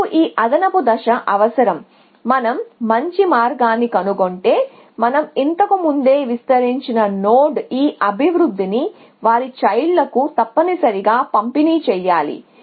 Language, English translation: Telugu, So, we need this extra step that if we have found better path, so node that we have already expanded earlier we need to propagate this improvement to their children essentially